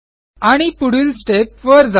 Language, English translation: Marathi, And proceed to the next step